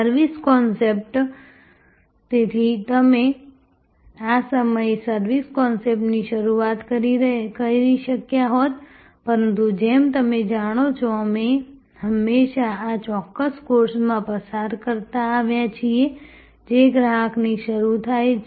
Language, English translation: Gujarati, Service concept, so we could have started with this the service concept, but as you know, we have always been propagating in this particular course that start with the customer